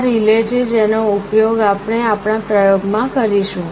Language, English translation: Gujarati, This is the relay that we shall be using in our experiment